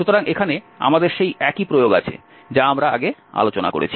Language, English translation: Bengali, So, here we have the same translation what we have just discussed before